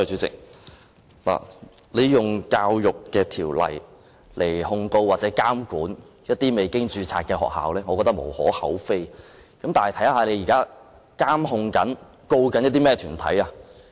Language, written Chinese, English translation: Cantonese, 政府以《教育條例》來控告或監管未註冊的學校，我覺得是無可厚非，但政府現時正在監管或檢控甚麼團體呢？, I think there is nothing much to be said against the Government invoking EO to prosecute or monitor unregistered schools . But what groups is the Government monitoring or prosecuting now?